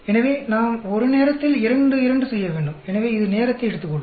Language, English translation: Tamil, So, we have to do two two at a time, so it is time consuming